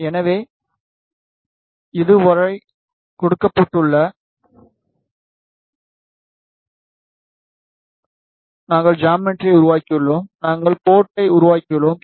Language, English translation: Tamil, So, this is given so far we have created the geometry, and we have made the port